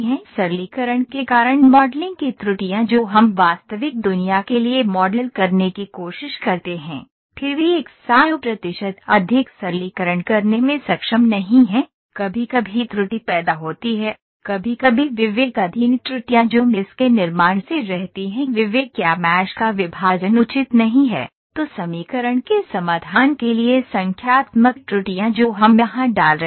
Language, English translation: Hindi, The modelling errors due to simplifications we try to model for the real world yet not able to do 100 percent more simplifications is sometimes lead to error, sometime discretization errors that reside from the creation of mesh that discretization or the division of mash is not proper then numerical errors for the solutions of the equation those we are putting here